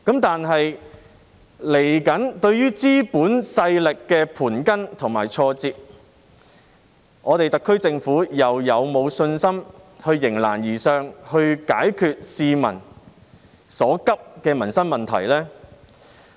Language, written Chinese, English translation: Cantonese, 但是，對於資本勢力的盤根錯節，特區政府又是否有信心迎難而上，解決市民所急的民生問題呢？, However in respect of the complicated issues coming from the domineering forces of capitalism does the SAR Government have the confidence to rise to the challenge and resolve the pressing problems of the public?